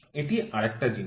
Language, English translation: Bengali, This was one thing